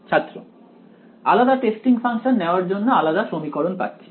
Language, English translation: Bengali, Every choosing a different testing function gives you a new equation